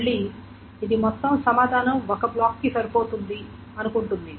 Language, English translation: Telugu, Again, this is assuming that the entire answer fits into one block